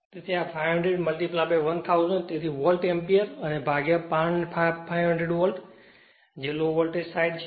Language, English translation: Gujarati, So, this is 500 into 1000 so volt ampere and divided by 500 volt, the low voltage side right